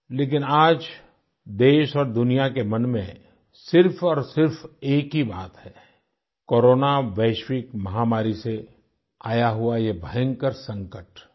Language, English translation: Hindi, But today, the foremost concern in everyone's mind in the country and all over the world is the catastrophic Corona Global Pandemic